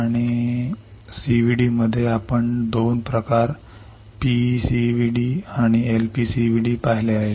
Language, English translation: Marathi, And in CVD we have seen 2 types PECVD and LPCVD